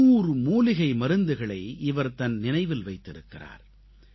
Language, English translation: Tamil, She has created five hundred herbal medicines relying solely on her memory